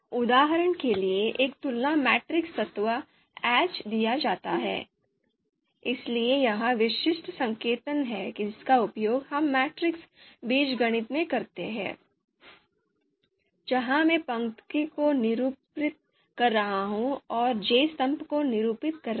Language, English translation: Hindi, For example given a comparison matrix element aij, so this is typical notation that we use in in in the in the matrix algebra, so where aij, i is denoting the row and j is denoting the column